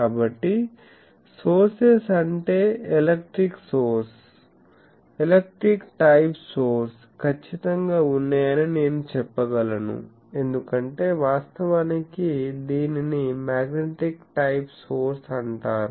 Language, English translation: Telugu, So, sources means I can say that there is a electric source, electric type of source to be precise because actually and this is called magnetic type of source